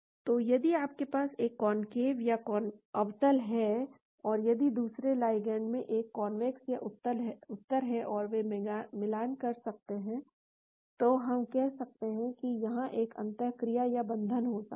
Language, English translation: Hindi, So, if you have a concave and if the another ligand has a convex and they are matching, so we can say there could be a interaction or binding here